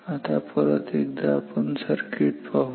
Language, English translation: Marathi, Now let us consider this circuit once again